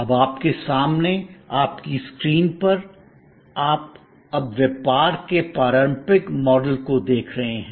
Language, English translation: Hindi, Now, on your screen in front of you, you now see the traditional model of business